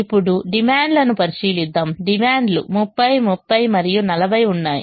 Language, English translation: Telugu, the demands are shown thirty, thirty and forty